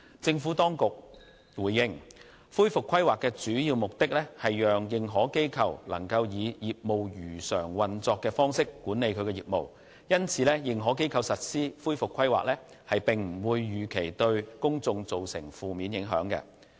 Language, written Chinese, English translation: Cantonese, 政府當局回應，恢復規劃的主要目的，是讓認可機構能夠以業務如常運作的方式管理其業務，因此認可機構實施恢復規劃，並不預期會對公眾造成負面影響。, The Administration has responded that it is a key objective of recovery planning that AIs can manage their operations on a business - as - usual basis . Thus it is not envisaged that the implementation of AIs recovery plans will adversely affect the general public